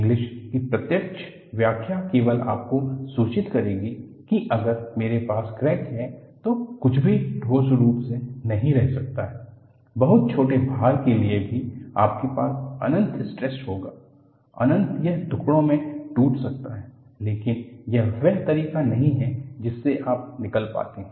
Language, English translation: Hindi, The direct interpretation of Inglis will only alarm you that nothing can remain in solid form, if I have a crack; because even, for a very small load, you will have an infinite stress; it may eventually break into pieces, but that is not the way you come across